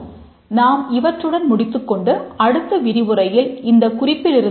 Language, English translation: Tamil, We'll stop here and continue from this point in the next lecture